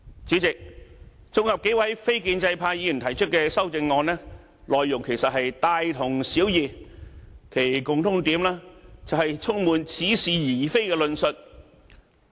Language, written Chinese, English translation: Cantonese, 主席，綜合數位非建制派議員提出的修正案，內容其實都是大同小異，其共通點就是充滿似是而非的論述。, President in regard to the amendments moved by a few non - establishment Members I find that they are actually very similar and the common point is their full of specious arguments